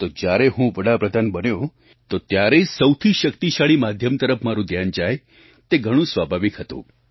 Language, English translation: Gujarati, Hence when I became the Prime Minister, it was natural for me to turn towards a strong, effective medium